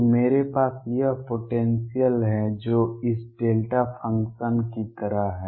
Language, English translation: Hindi, So, I have this potential which is like this delta functions